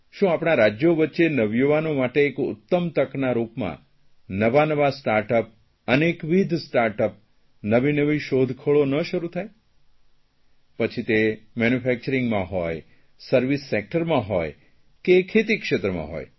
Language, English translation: Gujarati, Can our states work together for new Startups for youth, and encourage innovations with startups, be it in the manufacturing sector, service sector or agriculture